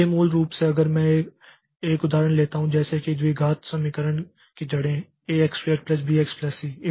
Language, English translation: Hindi, So, basically if I take the same example like finding the roots of quadratic equation a x square plus bx plus c